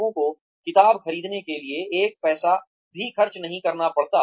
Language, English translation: Hindi, People do not have to spend, even one paisa to buy a book